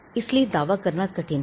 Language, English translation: Hindi, So, it is hard to make a claim